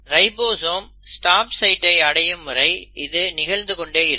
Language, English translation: Tamil, Now this keeps on happening till the ribosome encounters the stop site